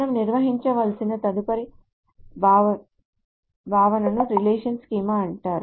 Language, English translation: Telugu, So the next concept that we need to define is called a relation schema